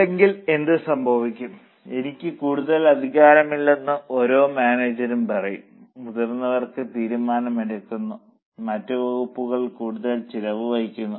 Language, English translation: Malayalam, Otherwise, every manager will say, I don't have much authority, seniors are taking decision, other departments are incurring more expenses, so I cannot control my expenses